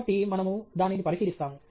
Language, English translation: Telugu, So, we will look at that